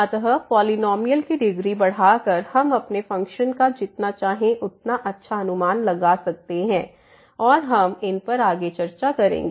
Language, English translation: Hindi, So, by increasing the degree of the polynomial we can approximate our function as good as we like and we will discuss on these further